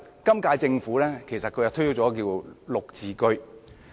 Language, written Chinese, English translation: Cantonese, 今屆政府其實推出了"綠置居"。, The current - term Government has actually launched the GSH